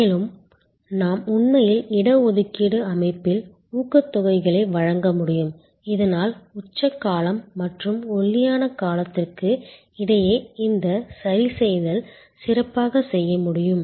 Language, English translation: Tamil, And we can also actually give incentives in the reservation system, so that this adjustment between the peak period and the lean period can be done better